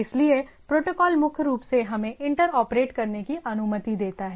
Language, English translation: Hindi, So, protocol basically allows us to inter operate right